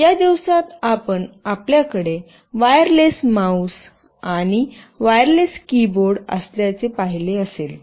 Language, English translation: Marathi, These days you must have seen that you have wireless mouse and wireless keyboard